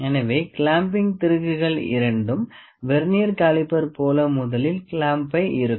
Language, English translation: Tamil, So, the clamping screws both are like the Vernier caliper we will first tighten the clamp